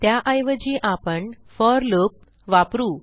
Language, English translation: Marathi, Instead, let us use a for loop